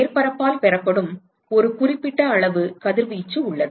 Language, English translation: Tamil, There is a certain amount of radiation that is received by the surface